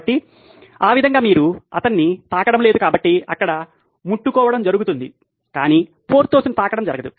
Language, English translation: Telugu, So, that way you are not touching him, so there is touching going on but tailor touching Porthos doesn’t happen